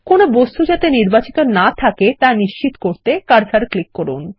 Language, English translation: Bengali, Click the cursor on the page, to ensure no objects are selected